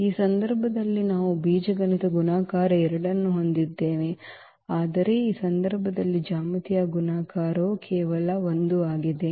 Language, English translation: Kannada, In this case we have the algebraic multiplicity 2, but geometric multiplicity is just 1 in this case